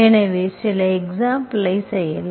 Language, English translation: Tamil, So we will do some examples